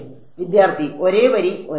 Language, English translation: Malayalam, Same line same line